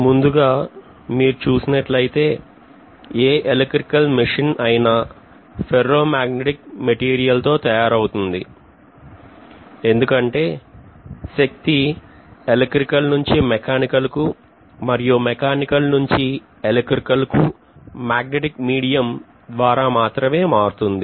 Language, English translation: Telugu, So if you look at any of the electrical machine normally they are going to be made up of ferromagnetic materials, because if you look at electromechanical energy conversion it is always through a magnetic via media